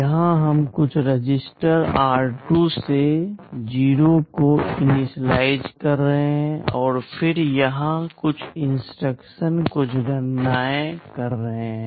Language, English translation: Hindi, Here we are initializing some register r2 to 0, then some instructions here some calculations are going on